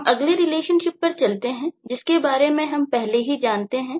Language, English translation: Hindi, the next relationship that we talk about is already known to you